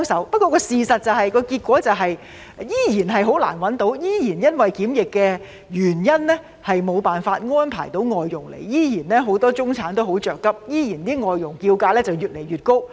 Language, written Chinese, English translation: Cantonese, 不過，事實上，僱主依然難以聘請外傭，依然因為檢疫的原因而無法安排外傭來港，很多中產人士依然很着急，外傭的叫價依然越來越高。, But the fact is that people are still unable to hire FDHs . They are still unable to arrange FDHs to come to Hong Kong due to the quarantine requirements . Many middle - class people are still very anxious